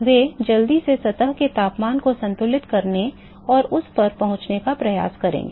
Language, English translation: Hindi, They will quickly attempt to equilibrate and reach the temperature of the surface